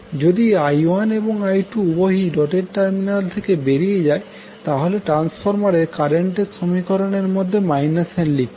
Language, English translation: Bengali, If I 1 and I 2 both enter into or both leave the dotted terminals, we will use minus n in the transformer current equations otherwise we will use plus n